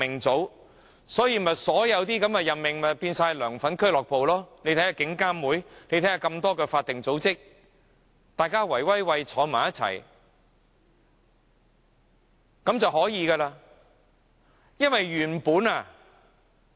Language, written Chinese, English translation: Cantonese, 因此，現時所有任命也變成"梁粉俱樂部"，看看獨立監察警方處理投訴委員會和眾多法定組織，大夥兒坐在一起便成事了。, Just take a look at the Independent Police Complaints Council and the many statutory organizations . All the fans simply sit together and everything is settled